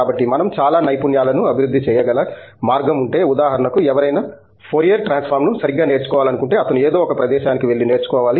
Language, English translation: Telugu, So, if there is way by which we can actually develop lot of skills for example, things like if somebody wants to learn Fourier transform right, he needs to go to some place and learn it